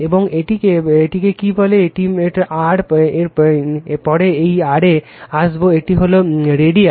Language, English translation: Bengali, And your what you call and this is a r is this a we later will come to that r, it is radius right